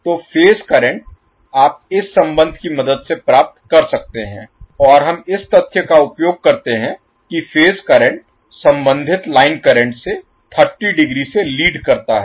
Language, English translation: Hindi, So phase current you can obtain with the help of this relationship and we utilize the fact that each of the phase currents leads the corresponding line current by 30 degree